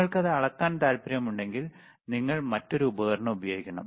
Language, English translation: Malayalam, But if you want to measure it, then you have to use another equipment, all right